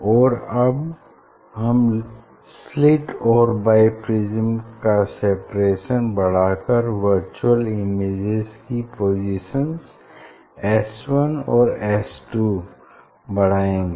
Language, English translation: Hindi, Now, increasing the separation between the slit and bi prism virtual image that distance s 1 s 2 will increase